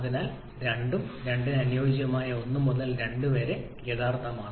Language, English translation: Malayalam, So 2 and 2 prime 2 is the ideal one to prime is the actual one